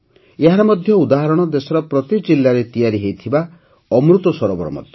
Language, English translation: Odia, An example of this is the 'AmritSarovar' being built in every district of the country